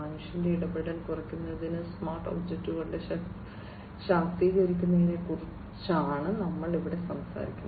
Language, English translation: Malayalam, And here we are talking about empowering smart objects to reduce human intervention